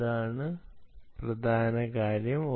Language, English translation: Malayalam, that is the key